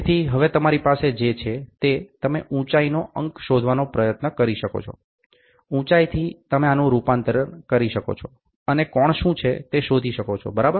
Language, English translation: Gujarati, So, now what you have is, you can try to figure out what is the height; from the height, you can convert this and find out what is the angle, ok